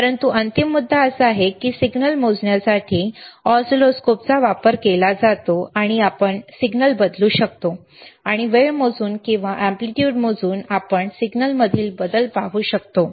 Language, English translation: Marathi, But the final point is that oscilloscopes are used to measure the signal, and we can change the signal and we can change see the change in the signal by measuring the time or by measuring the amplitude,